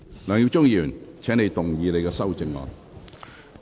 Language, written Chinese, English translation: Cantonese, 梁耀忠議員，請動議你的修正案。, Mr LEUNG Yiu - chung you may move your amendment